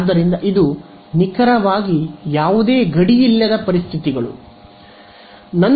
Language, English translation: Kannada, So, this is exact no boundary conditions